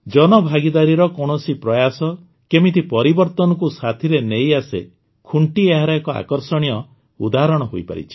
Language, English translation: Odia, Khunti has become a fascinating example of how any public participation effort brings with it many changes